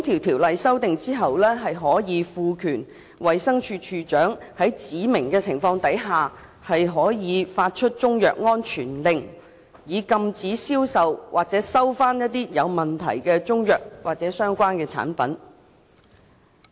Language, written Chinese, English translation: Cantonese, 《條例》經修訂後，衞生署署長可獲賦權在指明情況下作出中藥安全令，以禁止銷售或回收有問題的中藥或相關產品。, The amended Ordinance will empower the Director of Health to make a Chinese medicine safety order to prohibit the sale of or recall deficient Chinese medicines or relevant products in specified circumstances